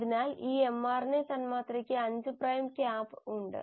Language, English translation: Malayalam, So this mRNA molecule has a 5 prime cap